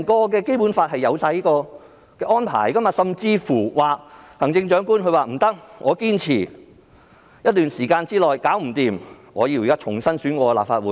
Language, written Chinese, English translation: Cantonese, 《基本法》訂明這種安排，如行政長官在一段時間後還未能做到，便可要求重新選舉立法會。, The Basic Law specifies such an arrangement; if the Chief Executive fails to do so after a certain period of time heshe may request for election of a new Legislative Council